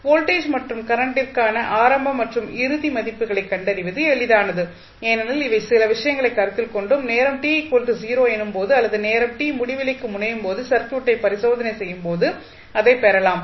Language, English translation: Tamil, Now, we will it is easier to find the initial and final values for v and I because these are some things which can be considered or you can derive it while just doing the inspection of the circuit for time t is equal to 0 or time t tends to infinity